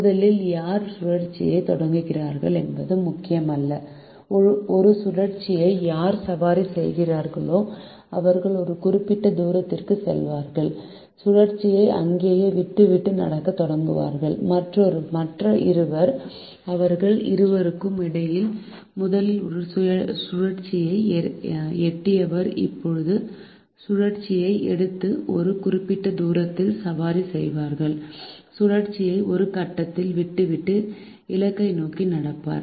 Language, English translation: Tamil, whoever riding the cycle will go to a certain distance, stop, lead the cycle there and start walking, while the other two who are bean walking the one who reaches a cycle first between the two of them will now take the cycle and ride the certain distance, leave the cycle at some point and walk towards the destination